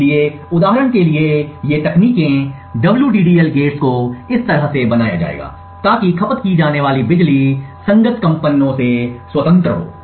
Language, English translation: Hindi, So, these techniques for example the WDDL gates would are built in such a way so that the power consumed is independent of the computations that are performed by the corresponding gates